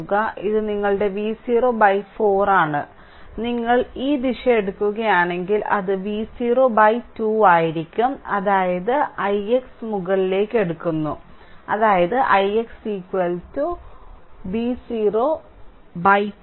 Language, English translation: Malayalam, So, this is your V 0 by 4 and if you take this direction the current it will be V 0 by 2 that means, i x is taken upwards that means, i x is equal to minus V 0 by 2 right